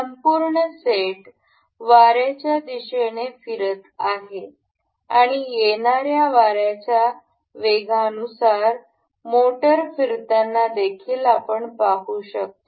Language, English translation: Marathi, The whole set up moving along the direction of wind and also we can see the motor rotating as per the speed of the wind that will be coming